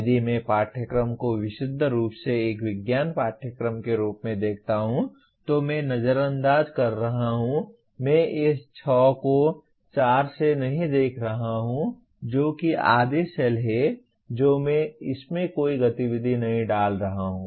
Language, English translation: Hindi, If I choose to deal with the course purely as a science course, then I am ignoring, I am not looking at this 6 by 4 that is half the cells I am not putting any activity in that